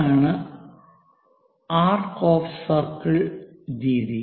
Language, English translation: Malayalam, This is by arcs of circle method